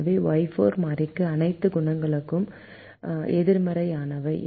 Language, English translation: Tamil, so for the variable y four, all the coefficients are negative